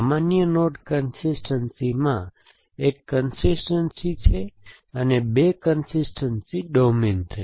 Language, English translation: Gujarati, So, in general node consistency and there is one consistency, two consistency will domain which essentially